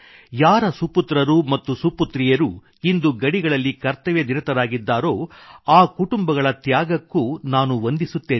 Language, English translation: Kannada, I also salute the sacrifice of those families, whose sons and daughters are on the border today